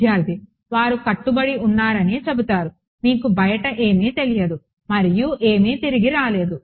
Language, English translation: Telugu, They will say that obeyed and you do not know what is outside and nothing came back